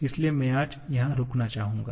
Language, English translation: Hindi, So, I would like to stop here today